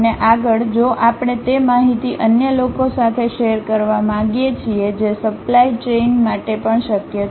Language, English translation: Gujarati, And, further if we want to share that information with others that can be also possible for the supply chain